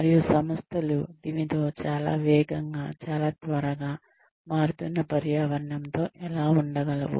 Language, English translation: Telugu, And, how can organizations keep pace with this, very fast, very quick, changing environment